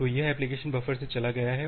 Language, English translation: Hindi, So, that has went from the application buffer